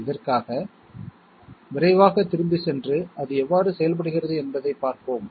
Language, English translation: Tamil, For this, let us quickly go back and have a look how it works